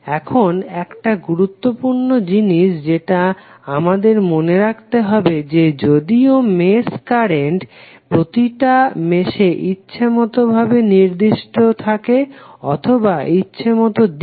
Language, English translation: Bengali, Now one important thing to remember is that although a mesh current maybe assigned to each mesh in a arbitrary fashion or in a arbitrary direction